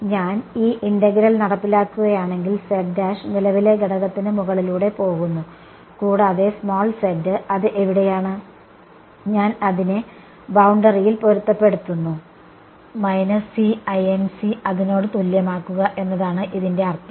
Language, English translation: Malayalam, If I carry out this integral; right, z prime runs over the current element and z is where it is and I am matching it on the boundary by equating it to minus E incident that is the meaning of this right